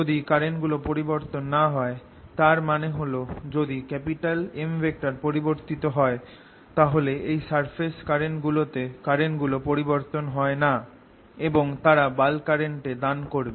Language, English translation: Bengali, if the currents don't change, that means if m varies, then the currents and these surfaces do not change and they contribute to the bulk current